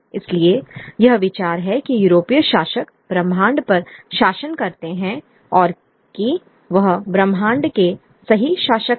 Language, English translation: Hindi, So this idea that the European rulers rule the universe and that they are the rightful rulers of the universe